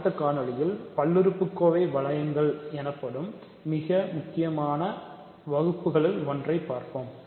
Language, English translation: Tamil, So, in the next video we will consider one of the most important classes of rings, called polynomial rings